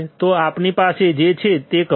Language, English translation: Gujarati, So, do what we have